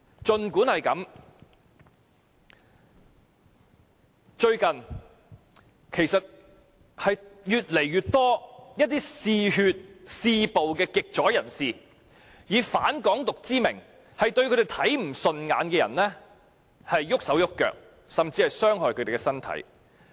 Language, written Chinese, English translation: Cantonese, 最近有越來越多嗜血、嗜暴的極左人士，以反"港獨"之名對他們看不順眼的人動手動腳，甚至傷害他們的身體。, Recently a growing number of extreme leftists who are blood - thirsty and addicted to violence have acted in the name of anti - independence and resorted to hitting people they dislike with their fists and legs or even causing bodily injury to them